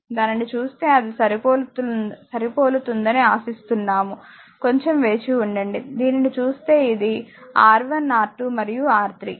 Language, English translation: Telugu, Just see that when I making it hope it is matching with this your this thing just hold on let me have a look this one this one R 1, R 2, R 3 ok